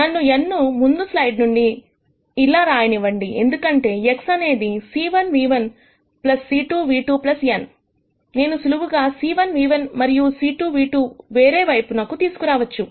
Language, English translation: Telugu, Let me write n as this from the previous slide, because X was c 1 nu 1 plus c 2 nu 2 plus n, I simply move c 1 nu 1 and c 2 nu 2 to the other side